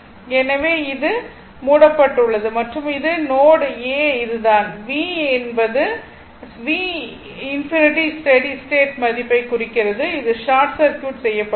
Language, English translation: Tamil, So, this is closed this is closed and and this this is your node a, this v means your v infinity right the steady state value at that time this this one it is short circuited right